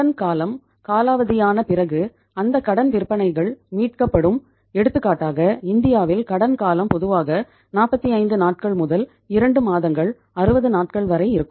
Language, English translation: Tamil, Those credit sales will be recovered after the expiry of the credit period and in India say for example the credit period normally ranges from 45 days to 2 months, 60 days